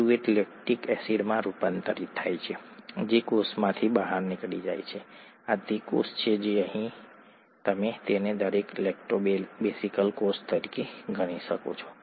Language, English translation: Gujarati, Pyruvate gets converted to lactic acid which gets out of the cell, this is the cell that is here, you could consider this as each Lactobacillus cell